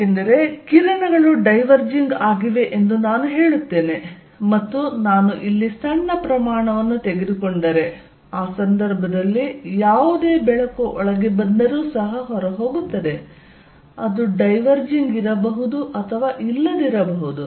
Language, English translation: Kannada, Let see light rays from a lens, because I say are diverging and if I take small volume here, in that case whatever light comes in is also going out, it maybe may not be diverging